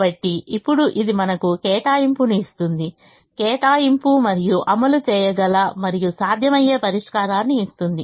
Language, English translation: Telugu, so now, this gives us an allocation, an allocation and gives us a solution which can be implemented and which is feasible